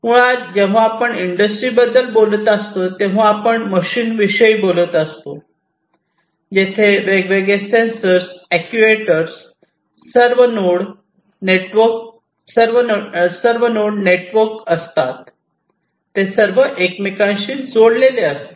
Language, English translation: Marathi, So, basically you know when we are talking about industries, we are talking about machines , where different sensors actuators are all deployed and these nodes are all inter network, they are all interconnected